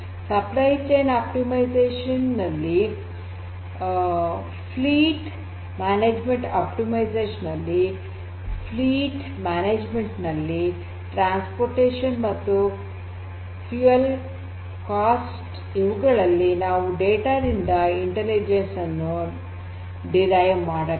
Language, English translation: Kannada, For likewise for logistics and supply chain, supply chain optimization, fleet management optimizing the reduction, optimizing the transportation and fuel costs in fleet management you need to derive intelligence out of the data